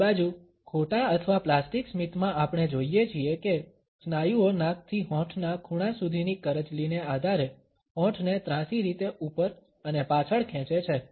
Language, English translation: Gujarati, On the other hand, in false or plastic smiles we find that the muscles pull the lips obliquely upwards and back, deepening the furrows which run from the nostril to the corners of the lips